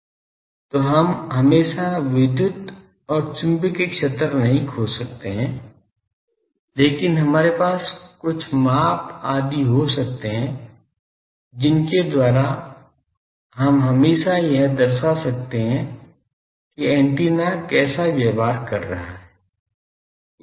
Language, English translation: Hindi, So, we always cannot find the power electric and magnetic fields, but we can have some measurements etc, by which we can always characterize that how the antenna is behaving